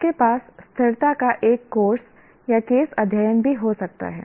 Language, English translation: Hindi, You can also have a course on sustainability or a set of case studies